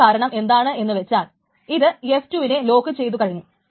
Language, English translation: Malayalam, So that's because it has locked F2